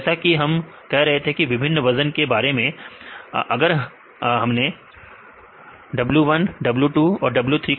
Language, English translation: Hindi, So, as saying with different weights, it consider this w1, w2 and w3